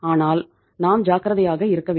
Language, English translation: Tamil, So how careful you have to be